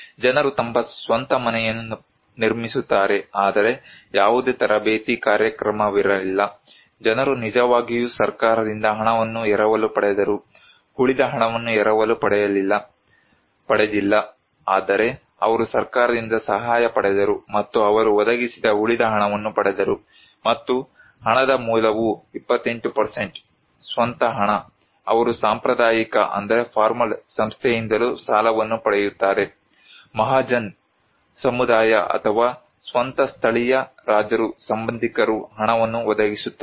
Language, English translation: Kannada, People build their own house but there was no training program, people actually borrowed money from the government rest of the money; not borrowed but they got the assistance from the government and the rest of the money they provided, and source of money 28% is the own money, they receive the loan from formal institution also, the community Mahajan's or own local Kings, relatives they provide money